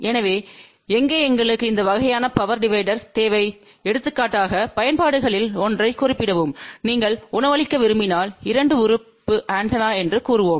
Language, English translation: Tamil, So, where we need this kind of a power divider, for example just to mentionone of the applications that if you want to feed let us say 2 element antenna